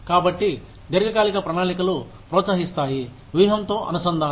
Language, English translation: Telugu, So, long term plans encourage, the integration with strategy